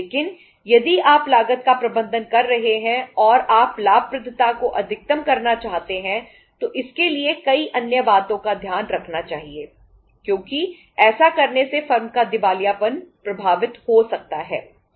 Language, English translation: Hindi, But if you are managing the cost and you want to maximize the profitability for that there are so many other things to be taken care of because by doing so the firm’s insolvency can be affected